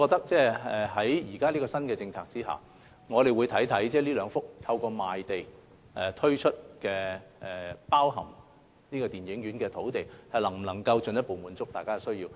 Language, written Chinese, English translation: Cantonese, 在新政策下，我們會審視上述兩幅包含電影院的用地，能否進一步滿足市民的需要。, Under the new policy we will examine whether the above two sites containing cinemas can further meet the needs of the public